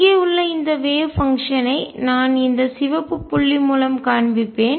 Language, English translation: Tamil, The wave function right here I will show it by red point